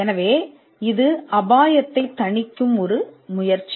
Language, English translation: Tamil, So, it is kind of a wrist risk mitigating effort